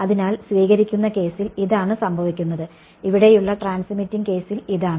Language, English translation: Malayalam, So, this is what is happening in the receiving case and this is in the transmitting case over here